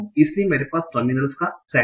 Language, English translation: Hindi, So, I have a set of terminals